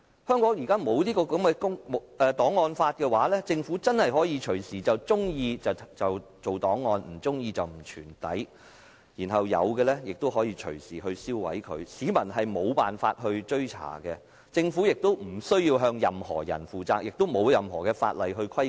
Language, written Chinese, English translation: Cantonese, 香港在沒有檔案法的情況下，政府真的隨時可以在喜歡時便建立檔案，不喜歡的話便不予保存，而一些現有的檔案亦可以隨時銷毀，市民根本無法追查，政府亦無須向任何人負責，亦不受任何法例規管。, Without an archives law in Hong Kong the Government can really keep or refuse to keep records as it likes which means that some of the existing records can be destroyed anytime making it impossible for the public to trace them whereas the Government does not need to be accountable to anybody; nor is it subject to any regulation in law